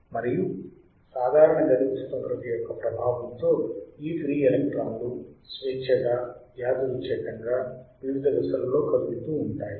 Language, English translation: Telugu, Under the influence of normal room temperature, these free electrons move randomly in a various direction right